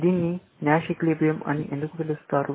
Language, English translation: Telugu, Why is it called the Nash equilibrium